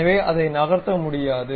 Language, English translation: Tamil, So, I cannot really move it